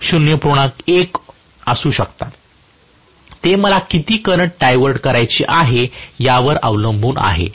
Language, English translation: Marathi, 1 itself depending upon how much of current I want to get it diverted